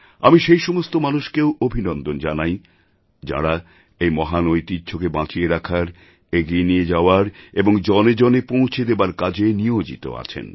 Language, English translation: Bengali, I congratulate all those actively involved in preserving & conserving this glorious heritage, helping it to reach out to the masses